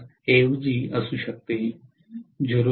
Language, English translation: Marathi, 25, it can be 0